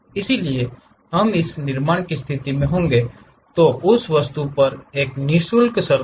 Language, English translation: Hindi, So, that we will be in a position to construct, a free surface on that object